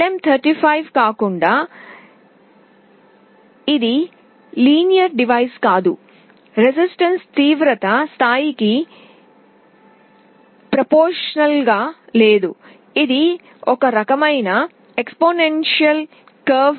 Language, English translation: Telugu, Unlike LM35 this is not a linear device; the resistance is not proportional to the intensity level, it follows this kind of exponential curve